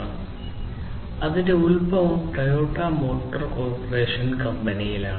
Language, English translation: Malayalam, So, it has its origin in the Toyota motor corporation company as I said before